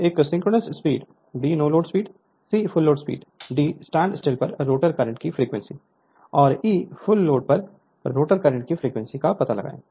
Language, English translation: Hindi, Find the a synchronous speed, b no load speed, c full load speed, d frequency of rotor current at standstill, and e frequency of rotor current at full load right